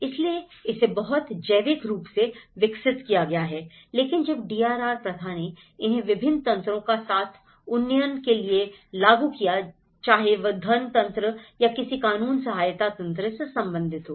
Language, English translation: Hindi, So, it has been grown very organically but then when the DRR practice has enforced them for up gradation aspect with various mechanisms whether related to funding mechanism or any legal support mechanisms